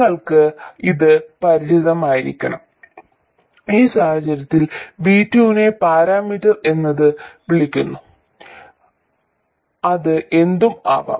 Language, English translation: Malayalam, And similarly for this one we will have V1 as a parameter and it could be anything, it could be something like that